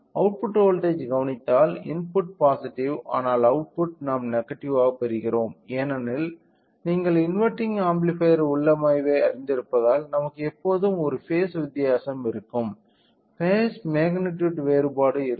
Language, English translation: Tamil, So, if we observe carefully the output voltage input is a positive, but the output we are getting in the negative which indicates that because of you know inverting amplifier configuration we will always have a phase a difference, a difference in the phase magnitude